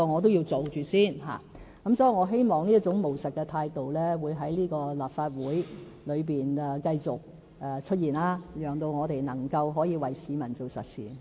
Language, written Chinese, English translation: Cantonese, 所以，我希望這種務實態度在立法會裏會繼續出現，讓我們能夠為市民做點實事。, For that reason I hope such pragmatism can persist in the Legislative Council so that we can do some real work for the people